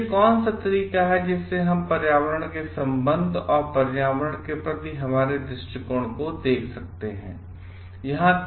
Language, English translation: Hindi, Then what is the way that we can look at the relationship of environment and our attitude towards environment